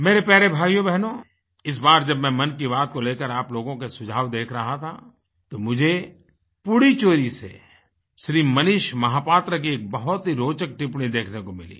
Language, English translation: Hindi, My dear brothers and sisters, when I was going through your suggestion for Mann Ki Baat this time, I found a very interesting comment from Shri Manish Mahapatra from Pudducherry